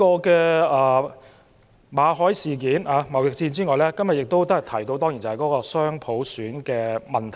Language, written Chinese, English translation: Cantonese, 除馬凱事件和貿易戰外，多位同事提及雙普選的問題。, Apart from the MALLET incident and the trade war many colleagues have talked about dual universal suffrage